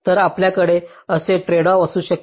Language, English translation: Marathi, ok, so you can have a tradeoff like this